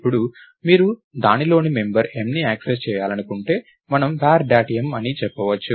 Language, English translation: Telugu, Now, if you want to access the member m in it, we can say var dot m